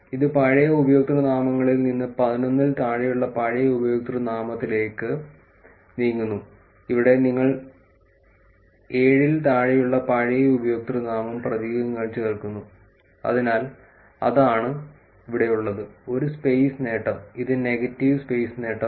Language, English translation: Malayalam, It moves from, so old usernames old username less than 11, where if you see here old username less than 7 tend to add characters, so that is what is here, a space gain and this is negative space gain